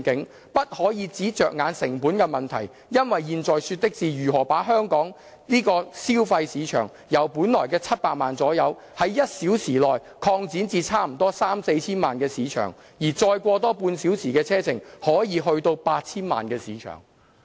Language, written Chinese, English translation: Cantonese, 我們不可以只着眼成本的問題，因為現在說的是如何把香港這個所謂消費市場，由我們本來的700萬左右，在1小時內擴展至差不多三四千萬的市場。如果再過個半小時車程，可能去到 8,000 萬的市場"。, Instead of merely dwelling on the project cost we should consider how we can expand the Hong Kong consumer market from some 7 million customers originally to 30 million to 40 million customers in a one - hour journey and further to a market of 80 million customers in additional half an hour travelling time